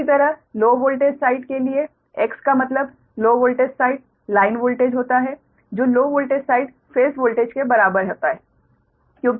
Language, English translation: Hindi, similarly, for the low voltage side, that is x stands for low, low voltage side line voltage is equal to low voltage side phase voltage because it is a delta